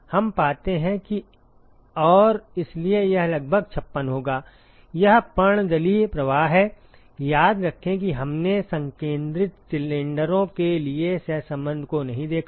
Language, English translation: Hindi, We find that and so that will be about 56, it is the laminar flow; remember that we did not look at the correlation for concentric cylinders